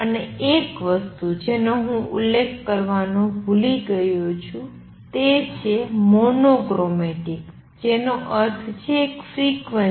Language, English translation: Gujarati, And also one thing I have forgot to mention is highly mono chromatic that means, one frequency